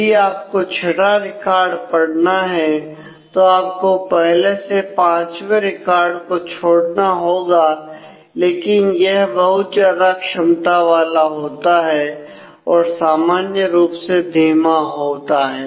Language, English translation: Hindi, So, if you want to read the 6th record you have to skip of a record 1 to 5, but it can be a very high capacity usually it is slow